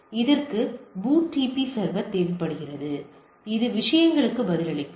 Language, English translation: Tamil, So, for that the BOOTP server should have this capability